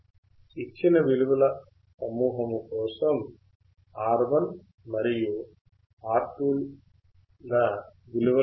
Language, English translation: Telugu, For this given set of values what will be R1 and R2